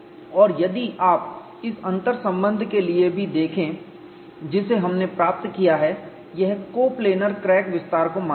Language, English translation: Hindi, And if you look at even for this interrelationship which we have obtained, it assumes coplanar crack extension